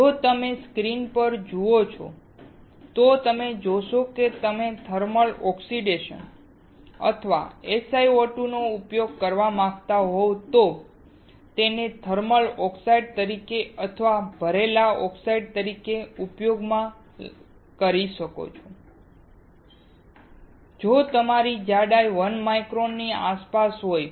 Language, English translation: Gujarati, If you see the screen, you see that if you want to use the thermal oxidation or SiO2, you can use it as a thermal oxide or as a filled oxide if your thickness is around 1 micron